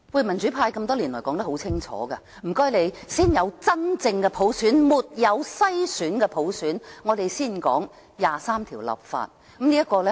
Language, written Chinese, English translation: Cantonese, 民主派多年來說得很清楚，請先有真正的普選，沒有篩選的普選，我們才會談就第二十三條立法。, For years the democratic camp has made it very clear that a prerequisite for any discussion of the legislation of Article 23 is the introduction of a genuine universal suffrage a universal suffrage without screening